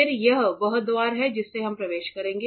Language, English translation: Hindi, Then this is the door through which we will enter